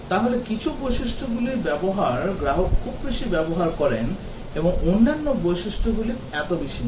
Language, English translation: Bengali, So, some features usages are used by the customer very heavily and other features not so much